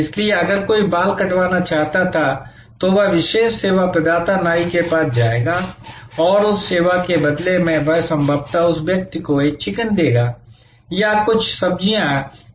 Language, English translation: Hindi, So, if somebody wanted a haircut, then he will go to the specialized service provider, the barber and in exchange of that service he would possibly give that person a chicken or may be some vegetables or so on